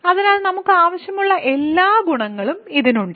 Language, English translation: Malayalam, And hence it has all the properties that we want